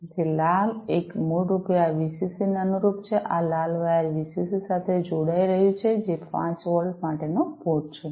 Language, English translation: Gujarati, So, the red one basically corresponds to this VCC, this red wire is connecting to the VCC which is the port for 5 plus 5 volts